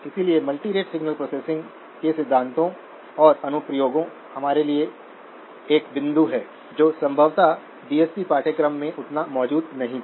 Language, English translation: Hindi, So the theory and applications of multirate signal processing, we do have a point of emphasis that was probably not as much present in the DSP course